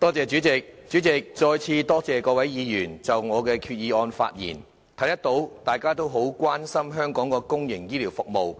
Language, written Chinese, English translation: Cantonese, 主席，我再次多謝各位議員就我的原議案發言，可見大家都很關注香港的公營醫療服務。, President once again I thank Members for speaking on my original Motion . It is evident that we are all concerned about the public healthcare services in Hong Kong